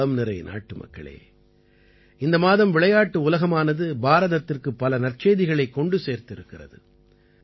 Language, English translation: Tamil, My dear countrymen, this month many a great news has come in for India from the sports world